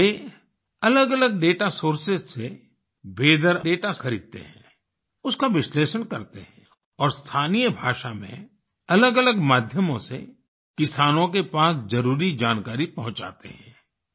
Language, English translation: Hindi, Now he purchases weather data from different data sources, analyses them and sends necessary information through various media to farmers in local language